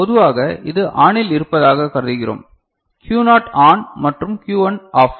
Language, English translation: Tamil, And generally we consider this is ON, Q naught is ON and Q 1 is OFF right